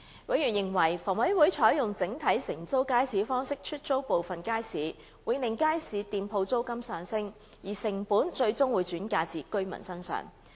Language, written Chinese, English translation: Cantonese, 委員認為房委會採用整體承租街市方式出租部分街市，會令街市店鋪租金上升，而成本最終會轉嫁至居民身上。, Members opined that HAs adoption of the single - operator letting arrangement for some of its markets would cause stall rentals to rise and the costs would ultimately shift to the residents